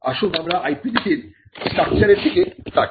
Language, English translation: Bengali, Now, let us look at the structure of an IP policy